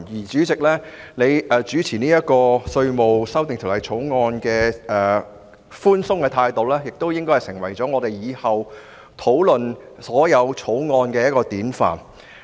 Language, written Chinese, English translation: Cantonese, 主席處理《2019年稅務條例草案》辯論時的寬鬆態度，亦會成為日後我們討論各項法案時的典範。, The tolerant attitude of the President towards handling the debate on the Inland Revenue Amendment Bill 2019 the Bill will become a paradigm for us to debate various bills in the future